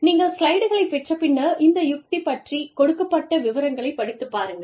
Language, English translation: Tamil, Whenever you get the slides, please go through, the details of this strategy